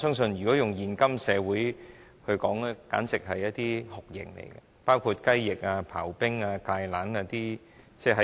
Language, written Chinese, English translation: Cantonese, 在現今社會，這些刑罰簡直可以被稱為酷刑，包括"雞翼"、"刨冰"、"芥蘭"等。, In todays society these penalties such as chicken wings shaved ice and kale can almost be considered as torture